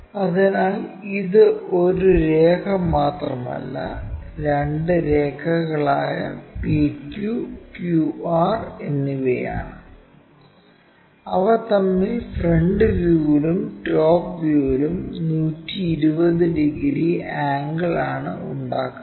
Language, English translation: Malayalam, So, it is not just one line, but two lines PQ and QR, they make an angle of 120 degrees between them in front and top, in the front views and top views